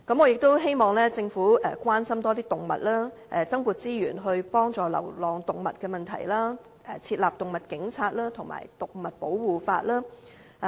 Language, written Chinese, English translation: Cantonese, 我也希望政府多關心動物，增撥資源幫助流浪動物的問題，設立動物警察和動物保護法。, Furthermore I hope the Government can take more care of animals and deploy more resources for issues concerning stray animals as well as establishing an animal police team and legislating for animal protection